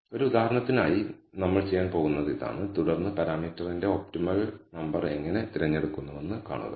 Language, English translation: Malayalam, So, this is what we are going to do for one of the examples and then see how we pick the optimal number of parameter